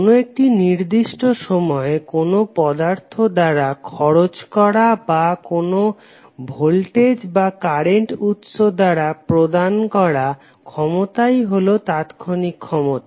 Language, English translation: Bengali, Instantaneous power is the power at any instant of time consumed by an element or being supplied by any voltage or current source